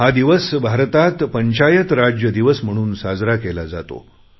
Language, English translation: Marathi, This is observed as Panchayati Raj Day in India